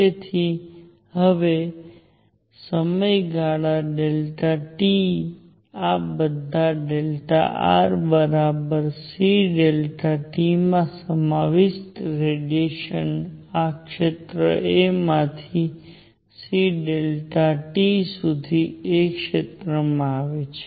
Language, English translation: Gujarati, So now, in time delta t all the radiation contained in delta r equals c delta t from the area a to distance c delta t comes to area a